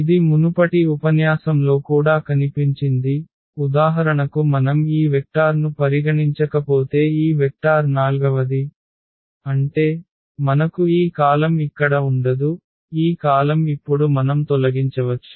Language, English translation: Telugu, What was also seen in the previous lecture that, if we do not consider for example, this vector the fourth one if we do not consider this vector; that means, we will not have this column here, this column we can delete now